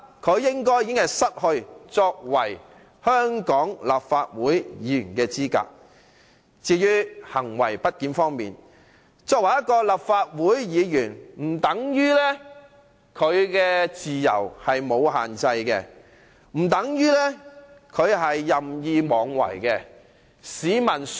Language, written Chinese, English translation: Cantonese, 至於行為不檢方面，即使鄭松泰作為立法會議員，也不等於他的自由不受限制，不等於他可以任意妄為。, With respect to the allegation of misbehavour even though CHENG Chung - tai is a Member of the Legislative Council it does not mean that his freedom is unrestrained or he can do whatever he wants